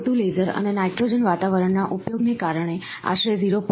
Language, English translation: Gujarati, Due to the use of CO2 laser and nitrogen atmosphere with approximately 0